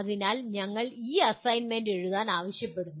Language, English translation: Malayalam, So we consider or we ask you to write these assignment